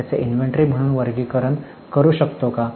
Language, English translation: Marathi, Can we classify it as an inventory